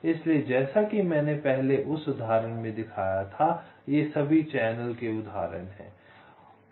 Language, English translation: Hindi, so, as i showed in that example earlier, these are all examples of channels